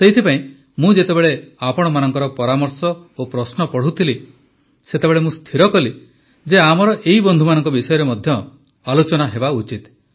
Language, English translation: Odia, Therefore, when I was reading your suggestions and queries, I decided that these friends engaged in such services should also be discussed